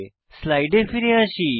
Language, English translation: Bengali, Let us go back to the slides